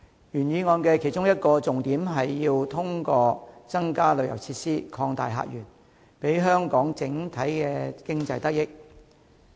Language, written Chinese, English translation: Cantonese, 原議案的其中一個重點是通過增加旅遊設施，擴大客源，令香港整體經濟得益。, A key point of the original motion is to provide additional tourism facilities so as to open up new visitor sources for the benefit of the overall economy of Hong Kong